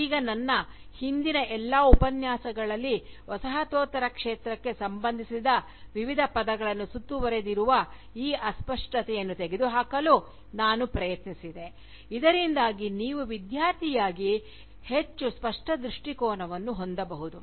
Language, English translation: Kannada, Now, in all my past Lectures, I have tried to remove this vagueness, that surrounds various terms associated with Postcolonialism, so that, you can have, a more clear perspective, as a student